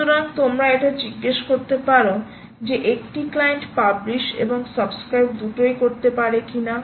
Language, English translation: Bengali, you may ask questions like: can a client be both publish and subscribe